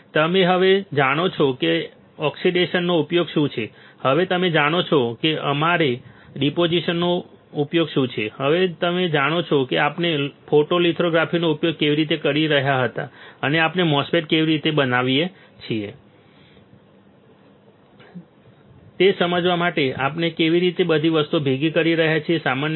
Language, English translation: Gujarati, So, you know now that what is a use of our oxidation, you know now what is use of our deposition, you know now how we were using photolithography and how we are merging all the things together to understand how we can fabricate a MOSFET